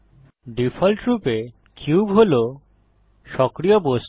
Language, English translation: Bengali, By default, the cube is the active object